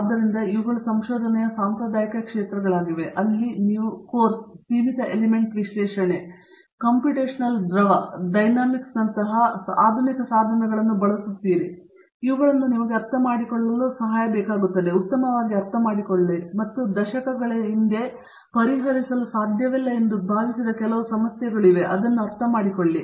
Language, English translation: Kannada, So, these are the traditional areas of research, where you use modern tools such as of course, finite element analysis, computational fluid dynamics and these help you to therefore, understand better and understand more precisely problems which were thought to be not solvable a few decades ago